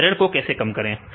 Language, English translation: Hindi, So, and how to reduce the error